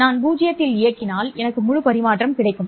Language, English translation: Tamil, If I operate at 0, I get full transmission